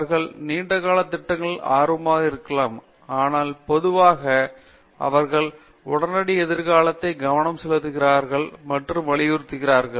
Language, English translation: Tamil, They may be interested in long term projects but, typically they are focus and thrust is on the immediate future